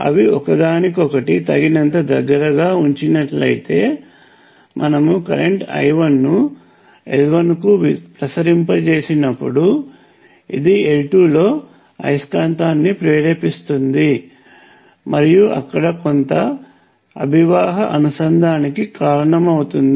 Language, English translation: Telugu, they can be arrange to be closed enough to each other such that when you pass the current I 1 to L 1, it induces of magnetic filed in L 2 and causes some flux linkage there as well